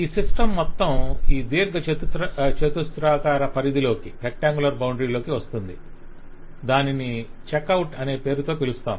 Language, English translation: Telugu, The whole system falls within this system boundary, this rectangle, and is given a subject name of check out